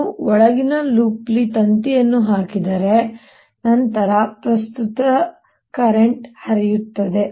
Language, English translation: Kannada, if i put the wire, the inner loop, then also the current flows